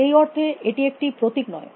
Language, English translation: Bengali, In that sense, it is not a symbol